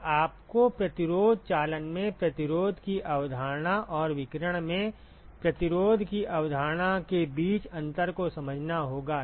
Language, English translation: Hindi, So, you have to understand the distinction between the resistance, concept of resistance in conduction and concept of resistance in radiation